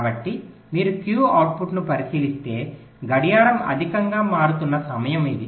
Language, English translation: Telugu, so if you look at the q output, this is the time where clock is becoming high